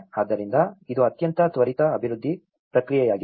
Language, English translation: Kannada, So, it is a very quick development process